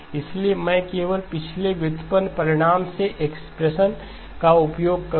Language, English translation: Hindi, So I will just use the expression from the last derived result